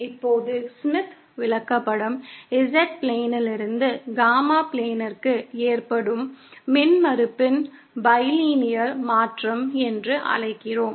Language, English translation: Tamil, Now the Smith chart is what we call the bilinear transformation of the impedance from the Z plane to the Gamma plane